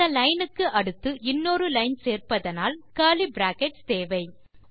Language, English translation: Tamil, If youre going to have a line after line here, youll need the curly brackets